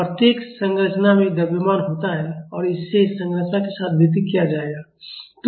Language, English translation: Hindi, Every structure has a mass and that would be distributed along the structure